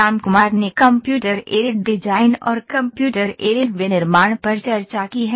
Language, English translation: Hindi, Ramkumar has discussed Computer Aided Design and Computer Aided Manufacturing